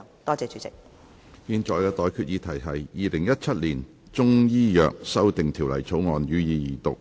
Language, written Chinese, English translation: Cantonese, 我現在向各位提出的待決議題是：《2017年中醫藥條例草案》，予以二讀。, I now put the question to you and that is That the Chinese Medicine Amendment Bill 2017 be read the Second time